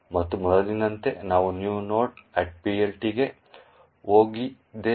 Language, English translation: Kannada, And, as before, we have gone into the new node PLT